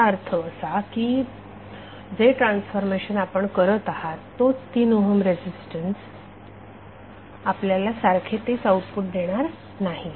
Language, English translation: Marathi, That means that the transformations which you are doing the same 3 ohm resistance will not give you the same output